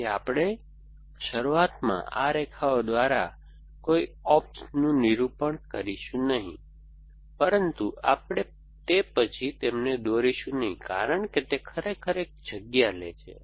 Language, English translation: Gujarati, So, we will depict no ops by these lines like this initially, but we will not draw them after that because they really take up to a space